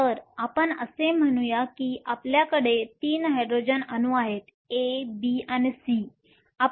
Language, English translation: Marathi, So, let us say we have 3 Hydrogen atoms A, B and C